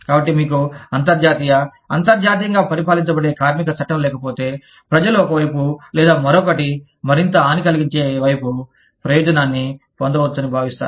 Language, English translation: Telugu, So, if you do not have any international, internationally governed labor law, then people feel that, one side or another, could end up taking advantage, of the more vulnerable side